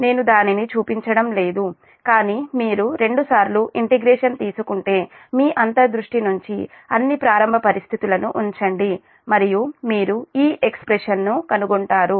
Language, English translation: Telugu, i am not showing it, but you just take twice integration, put all the initial condition from your intuition and then you will find this expression